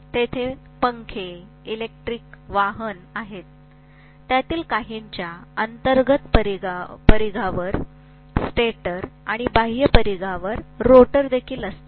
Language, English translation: Marathi, There are fans, electric vehicle; some of them will have stator at the inner periphery and rotor at the outer periphery also